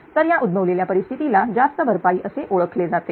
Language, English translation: Marathi, So, the resultant condition is known as overcompensation right